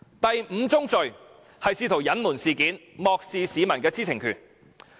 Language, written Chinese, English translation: Cantonese, 第五宗罪是試圖隱瞞事件，漠視市民的知情權。, The fifth fallacy is their attempt to hide the incident and their disrespect for the publics right to know